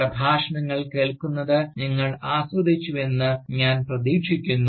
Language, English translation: Malayalam, I hope, you have enjoyed listening to the Lectures